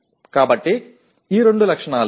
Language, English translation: Telugu, So these are the two properties